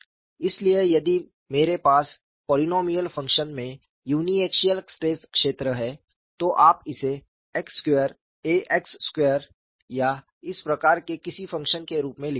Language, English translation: Hindi, So, if I have a uniaxial stress field in the polynomial function, you will write it as x square a x square or some such type of function